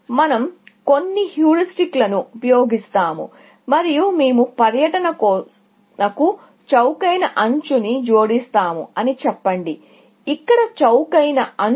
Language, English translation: Telugu, Let us say, we use some heuristic and we say, that we will add a cheap edge to the tour, essentially